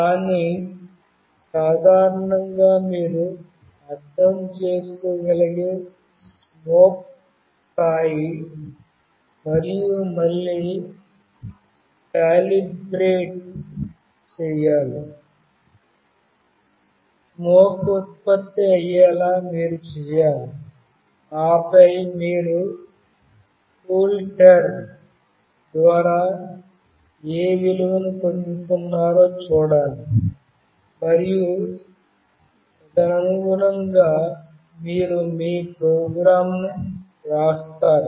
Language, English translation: Telugu, But generally the level of the smoke you can understand, you have to again calibrate, you have to do something such that smoke gets generated and then you have to see what value you are receiving through CoolTerm and accordingly you write your program